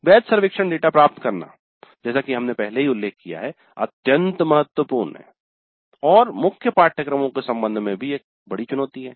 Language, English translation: Hindi, Getting valid survey data as we already mentioned is extremely important and that is a major challenge even with respect to core courses but with respect to elective courses it becomes much more challenging